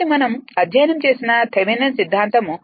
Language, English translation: Telugu, So, thevenins theorem we have studied